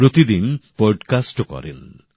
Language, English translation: Bengali, He also does a daily podcast